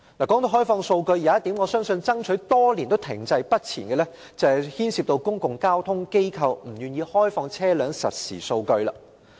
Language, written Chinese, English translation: Cantonese, 說到開放數據，我們已爭取多年但仍停滯不前的一項要求，是公共交通機構不願意開放的車輛實時數據。, When it comes to open data there is something we have requested for years but no progress has been made . It is the real - time traffic data which public transport operators remain unwilling to disclose